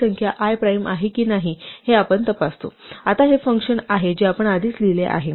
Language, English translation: Marathi, We check if that number i is a prime, now this is a function we have already written